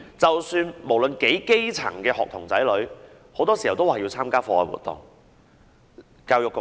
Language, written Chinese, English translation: Cantonese, 即使是基層的學童，很多時也要參加課外活動。, Even grass - roots children often have to participate in extra - curricular activities